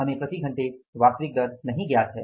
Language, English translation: Hindi, We are not given the actual rate per hour